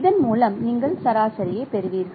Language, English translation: Tamil, So you simply take the average